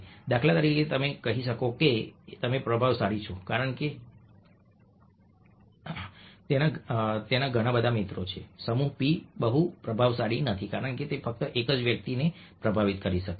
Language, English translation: Gujarati, for instance, one can see that u is influential because he has so many friends, whereas p is not very influential because he can only influence one person